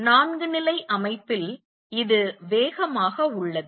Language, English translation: Tamil, In a four level system, this is fast